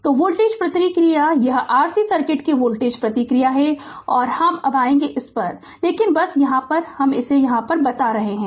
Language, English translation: Hindi, So, voltage response this is the voltage response of the R C circuit now and when when I will come to tat, but I am telling